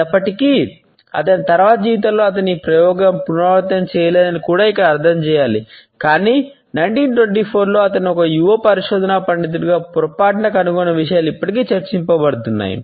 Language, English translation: Telugu, Although, it must also be integrated here that in his later life he never repeated this experiment, but the findings which he stumbled upon as a young research scholar in 1924 are still talked about